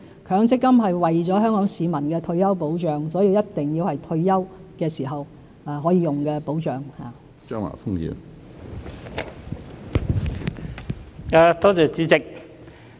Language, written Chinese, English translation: Cantonese, 強積金是為了保障香港市民的退休生活而設，所以必須是退休時才可以用的保障。, As MPF is aimed at providing retirement protection for Hong Kong people their accrued benefits will only be used when they retire